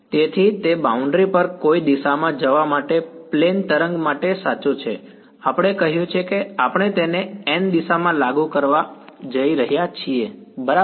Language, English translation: Gujarati, So, it is true for a plane wave going along any direction on the boundary we said we are going to enforce it along the n hat direction right